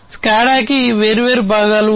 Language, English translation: Telugu, And SCADA has different components